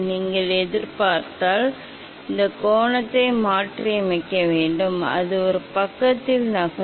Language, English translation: Tamil, If I just change the incident angle, so it will move at the same side